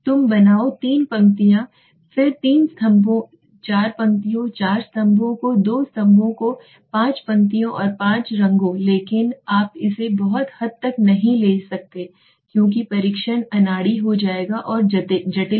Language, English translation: Hindi, you make three rows then three columns four rows four columns to rows two columns five rows five colors but you cannot take it to a very large extent because the test will become to clumsy and complicated okay